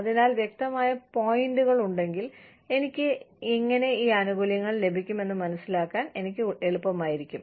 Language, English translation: Malayalam, So, if there are clear pointers, it will be easy for me, to understand how I can, get these benefits